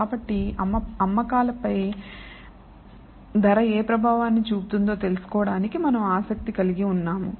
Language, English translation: Telugu, So, that is why we are interested in finding what effect does price have on the sales